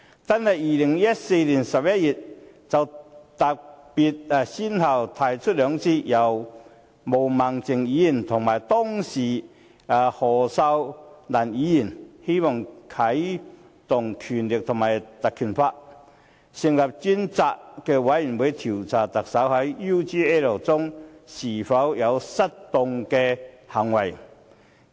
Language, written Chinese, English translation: Cantonese, 單是在2014年11月，泛民便先後兩次分別由毛孟靜議員及當時的何秀蘭議員提出相關議案，要求引用《立法會條例》，成立專責委員會調查特首在 UGL 事件中是否有失當行為。, In November 2014 alone the pan - democrats moved two relevant motions respectively by Ms Claudia MO and former Member Ms Cyd HO demanding that the Legislative Council Ordinance be invoked to establish a select committee to inquire whether the Chief Executive had any misconduct in the UGL incident